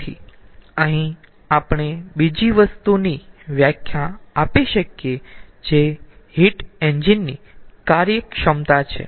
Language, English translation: Gujarati, so here we can define another thing which is efficiency of the heat engine